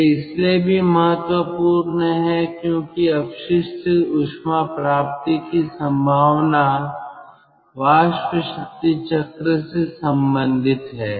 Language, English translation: Hindi, this is also important because the potential of waste heat recovery, which is related to steam power cycle